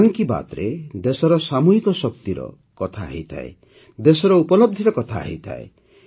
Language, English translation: Odia, In 'Mann Ki Baat', there is mention of the collective power of the country;